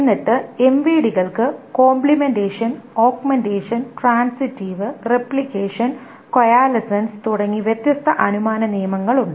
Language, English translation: Malayalam, And then there are different inference rules for MVDs such as complementation, augmentation, transitive replication and coalescence